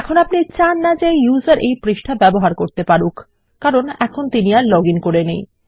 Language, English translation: Bengali, Now you dont want the users to get access to this page because they are not logged in right now